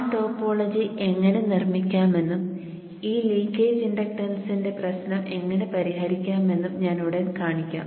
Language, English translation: Malayalam, I will show how we construct that topology shortly and address the issue of this leakage inductance